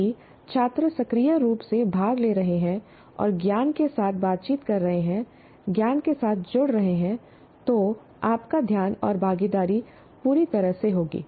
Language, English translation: Hindi, If they are actively participating and interacting with the knowledge, engaging with the knowledge, you will have their attention and participation fully